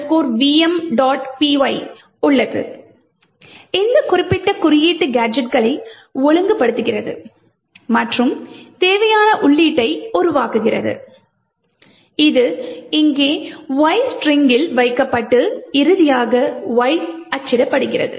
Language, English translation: Tamil, PY, will just have a look at that and see that, this particular code arranges the gadgets and forms the required input which is placed in Y, in the string Y over here and finally Y gets printed